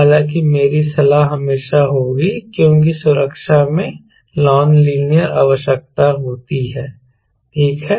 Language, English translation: Hindi, however, my advice always would be: because safety has a non linear requirement, right